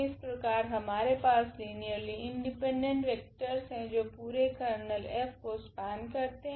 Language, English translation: Hindi, So, we have this linearly independent vector which can span the whole Kernel of F